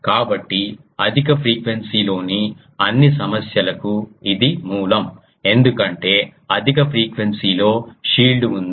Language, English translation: Telugu, So, this is the source of all problems in high frequency because high frequency there was shield